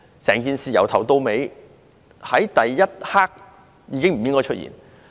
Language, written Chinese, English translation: Cantonese, 整件事在第一刻已經不應該出現。, The whole thing should not have happened in the first place